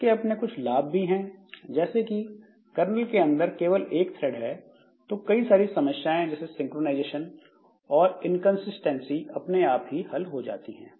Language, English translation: Hindi, The advantage that you get is that so since there is only one thread inside the kernel, so many problems of this synchronization and inconsistency they get resolved